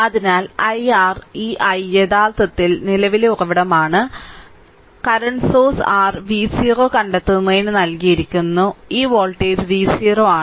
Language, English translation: Malayalam, So, i i your what you call this i actually is the current source, a current source is given you find out your what you call v 0, this voltage is v 0